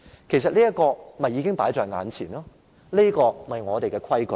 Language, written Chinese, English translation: Cantonese, 其實，這已是放在眼前，這便是我們的規矩。, In fact these criteria are set before us and these are the established rules